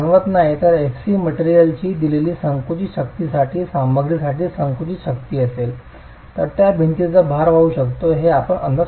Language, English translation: Marathi, is the compressive strength of the material, for a given compressive strength of the material, you can estimate what is the load that that wall can carry